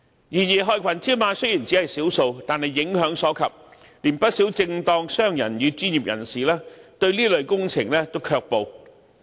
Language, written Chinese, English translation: Cantonese, 然而，害群之馬雖然只是少數，但影響所及，連不少正當商人與專業人士亦對這類工程卻步。, Nonetheless these black sheep though small in number can create such effects that even many honest businessmen and professionals back away from such kind of works